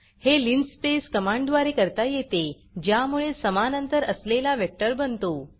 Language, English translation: Marathi, This can be done by the linspace command which creates a linearly equally spaced vector